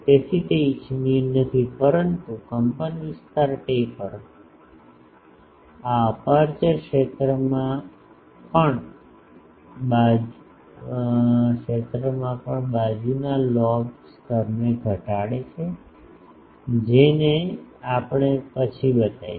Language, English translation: Gujarati, So, that is not desirable, but amplitude taper in the aperture field also decreases the side lobe level this we will show later